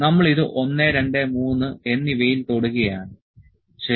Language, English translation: Malayalam, So, we are just touching it, 1, 2 and 3, ok